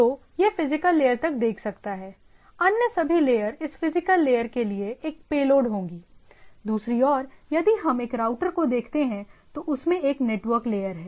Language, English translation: Hindi, So, it can look up to the physical layer, all other layer things will be a payload to this physical layer, or if we look at a, on the other hand if we look at a router, so it has a network layer